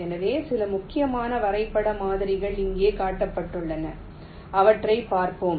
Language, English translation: Tamil, so some of the important graph models are shown here